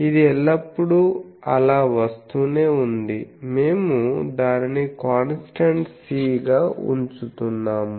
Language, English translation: Telugu, This was always coming so, we are putting it as a constant C